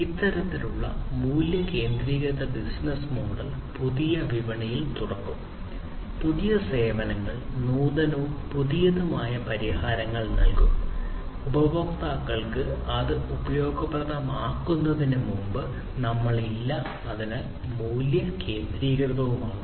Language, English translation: Malayalam, This kind of value centric business model will open up new markets, new services will give solutions, which are innovative, which are new, which we are not there before customers find it useful exciting, and so on; so that is the value centricity